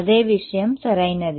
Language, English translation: Telugu, Same thing right